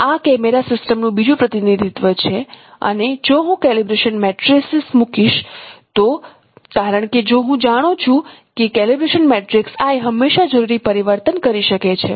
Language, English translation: Gujarati, This is another representation of camera system and for a in the calibration if I know the call if I put the calibration matrix matrices I since I if I know the calibration matrix is I can always convert them by doing the necessary transformation